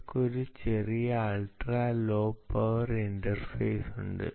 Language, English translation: Malayalam, right, they have a small vial ultra low power interface